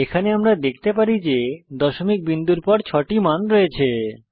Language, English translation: Bengali, We can see that here we have six values after the decimal point